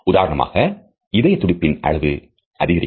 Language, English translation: Tamil, For example, increased rate of heart